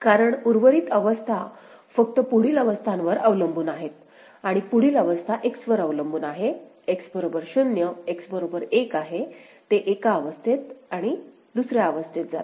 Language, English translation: Marathi, Because rest of the states are depending on next state only and next state is depending on X is equal to 0, X is equal to 1, it goes to one state or the other right